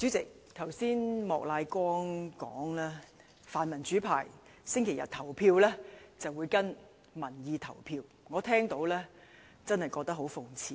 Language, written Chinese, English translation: Cantonese, 主席，剛才莫乃光議員說，泛民主派星期日會跟隨民意投票，我聽罷真的覺得很諷刺。, President just now Mr Charles Peter MOK said that pan - democratic Members would vote in accordance with public opinion this Sunday . I really find this ironic